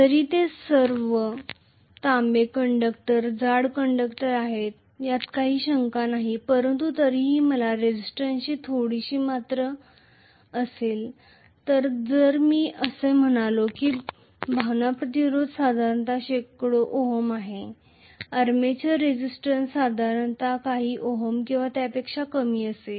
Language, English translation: Marathi, Although they are all copper conductors, thick conductors, no doubt but I will still have some amount of resistance so if I say that the feel resistance is generally hundreds of ohms, armature resistance will be generally of few ohms or less